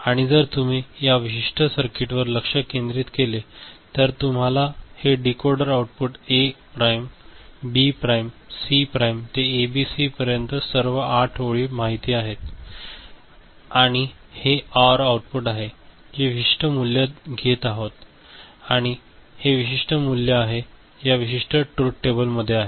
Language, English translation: Marathi, And if you look at this particular circuit which is generating this you know this is the decoder outputs A prime, B prime, C prime to ABC all 8 you know these lines and this is the OR outputs which is taking specific values right and this specific values are in this particular truth table